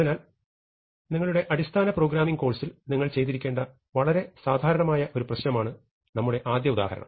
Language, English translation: Malayalam, So, our first example is a very standard problem which you must have done in your basic programming course